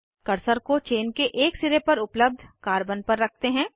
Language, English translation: Hindi, Place the cursor on the carbon present at one end of the chain